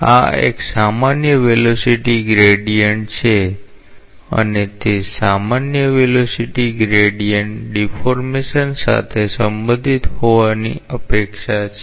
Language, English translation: Gujarati, Because this is a general velocity gradient and a general velocity gradient is what is related to what is expected to be related to deformation